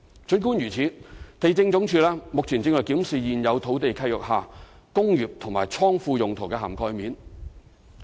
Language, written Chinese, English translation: Cantonese, 儘管如此，地政總署目前正檢視在現有土地契約下"工業"及"倉庫"用途的涵蓋面。, Nevertheless the Lands Department is now looking into the coverage of industrial and godown use